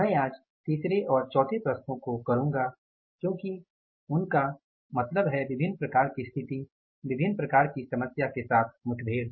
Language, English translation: Hindi, And now I will deal with the third and the fourth problem today because they as a encounter with different type of the situations, different type of the problems